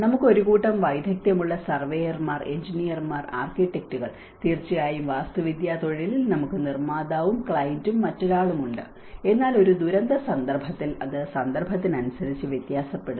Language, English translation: Malayalam, So, we have a set of expertise, the surveyors, the engineers, the architects, of course in the architectural profession, we have another one the builder and the client, but in a disaster context it varies with the context in the context